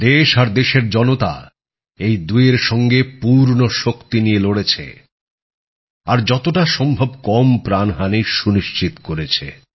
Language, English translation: Bengali, The country and her people fought them with all their strength, ensuring minimum loss of life